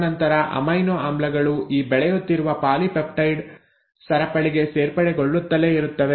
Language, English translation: Kannada, And then the amino acids keep on getting added onto this growing chain of polypeptide